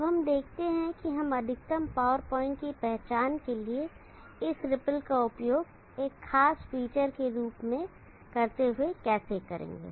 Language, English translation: Hindi, Now let us look about how we will go about doing this using this ripple as a distinguishing feature for identifying the maximum power point